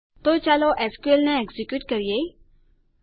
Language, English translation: Gujarati, So, let us execute the SQL